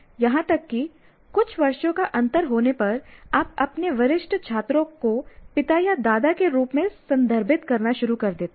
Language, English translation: Hindi, Even a few years, you already start referring to your senior student as what do you call father or grandfather kind of thing